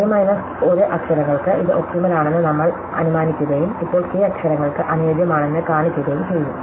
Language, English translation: Malayalam, So, we will assume that this optimal for k minus 1 letters and now show that also optimal for k letters